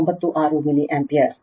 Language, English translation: Kannada, 96 milli ampere right